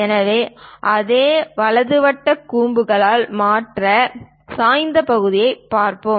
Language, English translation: Tamil, So, let us look at the other inclined section, for the same right circular cone